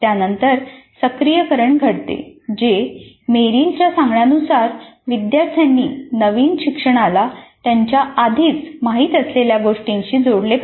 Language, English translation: Marathi, Then it is followed by the activation which as Merrill says the students must be able to link the new learning to something they already know